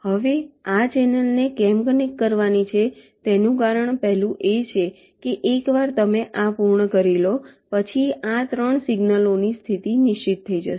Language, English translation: Gujarati, fine, now the reason why this channel has to be connected first is that once you complete this, the position of these three signals are fixed